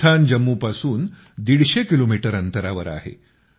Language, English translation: Marathi, This place is a 150 kilometers away from Jammu